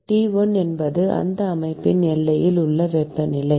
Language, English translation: Tamil, T1 is the temperature at the boundaries of this system